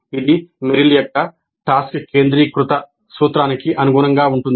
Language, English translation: Telugu, This corresponds to the task centered principle of Meryl